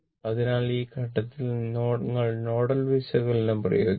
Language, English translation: Malayalam, So, at this point, so, now you apply the nodal analysis